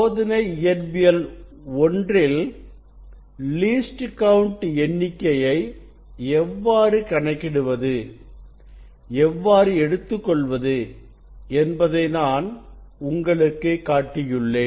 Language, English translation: Tamil, You know in experiment physics 1 I have showed you that how to calculate the least count and how to take reading